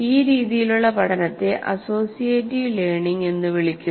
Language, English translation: Malayalam, This form of learning is called associative learning